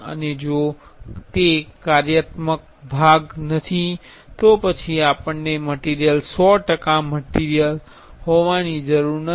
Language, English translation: Gujarati, And if it is not a functional part then we can we do not need material to be 100 percentage material